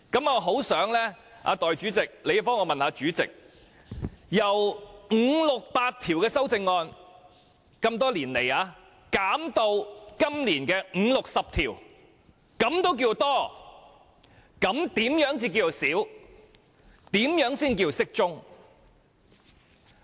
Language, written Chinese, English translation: Cantonese, 我很想代理主席替我問問主席：這些年來，由五六百項修正案減至今年的五六十項，他仍認為算多的話，則何謂少或適中呢？, May Deputy Chairman help ask the Chairman on my behalf what will be an appropriate or small number of amendments if some 60 amendments proposed for this year slashing from 500 to 600 previously can still be regarded as excessive?